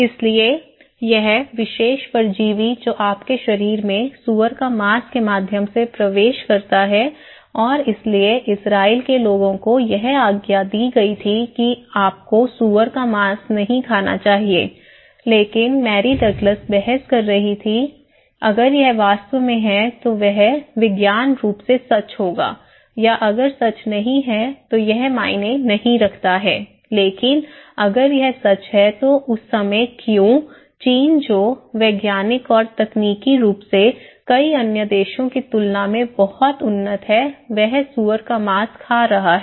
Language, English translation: Hindi, So, this particular parasite that enter into your body through pork and thatís why the Israeli people were given the mandate that you should not eat the pork but Mary Douglas was arguing okay, if it is really that so it could be scientifically true or not true that does not matter but if it is really true that why that time, the China which was scientifically and technologically much advanced than many other countries who are eating pork